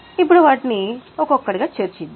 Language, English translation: Telugu, Now let us see or discuss them one by one